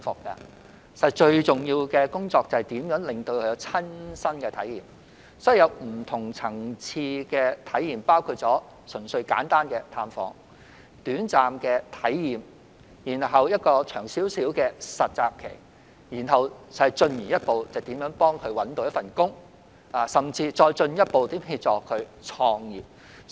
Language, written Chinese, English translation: Cantonese, 因此，要讓青年人有不同層次的體驗，包括純粹簡單的探訪、短暫的體驗，然後有一段較長的實習期，進而協助他們找工作，甚至再進一步協助他們創業。, Hence we need to give young people experience at various levels including simple visits and brief experiences followed by a longer internship period to help them find jobs and even further help them start their own businesses